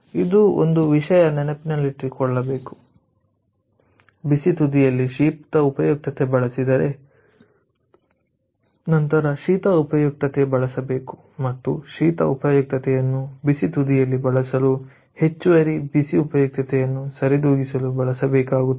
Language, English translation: Kannada, so this is one thing we have to keep it in mind: that if we use, lets say, if we use cold utility at the hot end, then you have to use the cold utility and we have to use, to compensate the cold utility, same amount of additional hot utility we have to use at the hot end